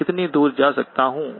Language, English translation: Hindi, How far can I go